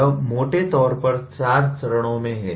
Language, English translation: Hindi, That is broadly the 4 stages